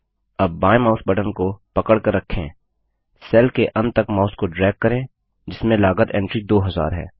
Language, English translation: Hindi, Now holding down the left mouse button, drag the mouse till the end of the cell which contains the cost entry, 2000